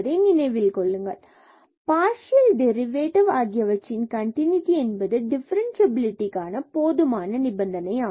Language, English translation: Tamil, Remember that the continuity of partial derivatives is sufficient for differentiability